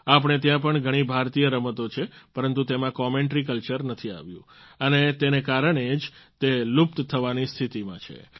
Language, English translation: Gujarati, Here too, we have many Indian sports, where commentary culture has not permeated yet and due to this they are in a state of near extinction